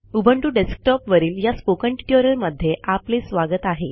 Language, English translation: Marathi, Welcome to this spoken tutorial on Ubuntu Desktop